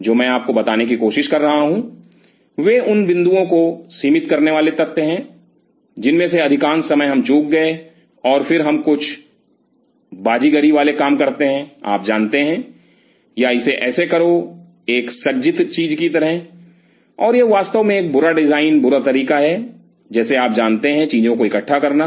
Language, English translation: Hindi, What I am trying to tell you are those rate limiting points which most of the time we missed out, and then we do some hanky panky job you know or do it like that in a fitted thing like that and that really a bad design, bad way of like you know putting things together